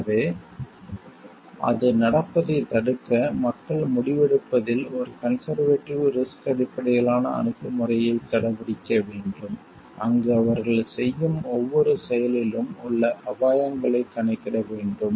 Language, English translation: Tamil, So, to prevent that thing from happening so, people must adopt a conservative risk based approach to decision making, where they have to calculate the risks involved in every step every action that they are doing